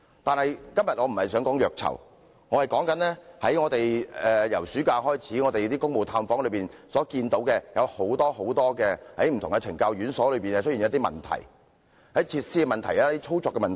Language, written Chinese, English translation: Cantonese, 不過，我今天不想談虐囚，而要說說自暑假以來，我們在公務探訪中看到很多不同懲教院所裏的一些問題，包括設施及操作的問題。, However today I do not wish to talk about abuse of prisoners . Instead I wish to talk about some problems in various correctional institutions including problems with their facilities and operations which we have seen during our duty visits since the summer recess